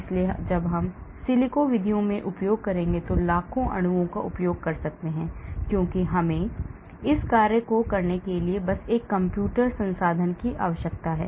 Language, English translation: Hindi, So when I use in silico methods I can use millions of molecules because I just need a computational resource to do this job